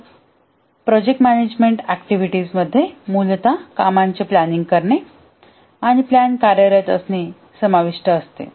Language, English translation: Marathi, So the project management activities essentially consists of planning the work and working the plan